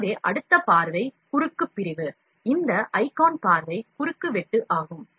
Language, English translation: Tamil, So, next is view cross section, this icon is view cross section